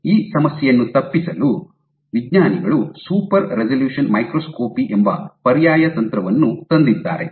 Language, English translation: Kannada, So, to circumvent this problem, scientists have come up with this alternate technique called super resolution microscopy